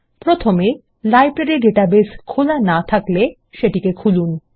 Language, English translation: Bengali, Let us first open our Library database, if not already opened